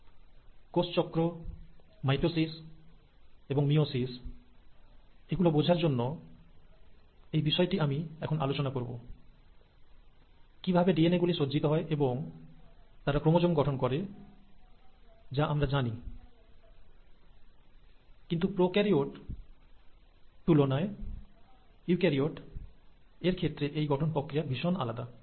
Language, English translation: Bengali, Now, this is possible and it's important for you to understand this, for understanding both, cell cycle and mitosis and meiosis, so I will cover it right away, is how are these DNA arranged, and they are arranged into chromosomes is all what we know, but there’s an architecture which is very different in case of eukaryotes than in prokaryotes